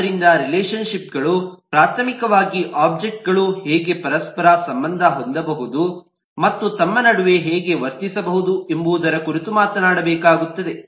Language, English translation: Kannada, so the relationship primarily has to talk about how the objects can get interconnected and behave between themselves